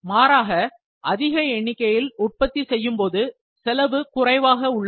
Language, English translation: Tamil, If we need to produce the large number, the cost is lower